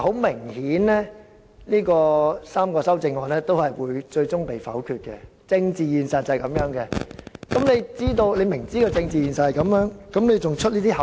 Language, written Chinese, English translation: Cantonese, 明顯地，這3組修正案最終會被否決，因為這是政治現實，但局長為何明知這個政治現實仍要"出口術"？, While apparently these three groups of amendments will eventually be voted down due to political reality why did the Secretary being well aware of this political reality still make this verbal coercion?